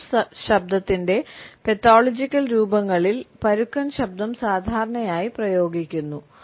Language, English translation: Malayalam, Hoarse voice is normally applied to pathological forms of rough voice